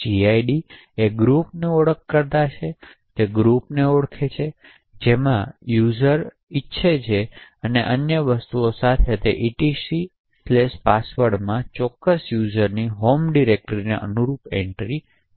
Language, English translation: Gujarati, gid which is a group identifier which identifies the group in which the user wants to and it also along with other things the /etc/password also has entries corresponding to the home directory of that particular user and so on